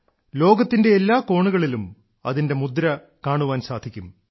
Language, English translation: Malayalam, You will find its mark in every corner of the world